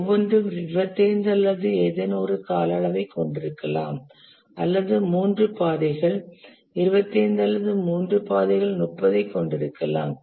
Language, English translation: Tamil, It can so happen that two of the longest paths each have 25 or something as their duration or maybe three paths have 25 or three paths may have 30